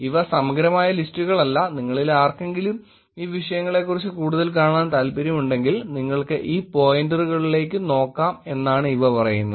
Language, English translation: Malayalam, These are not the comprehensive lists, these are just to tell you that if any of you is interested in looking at these topics more, you should probably be looking into these pointers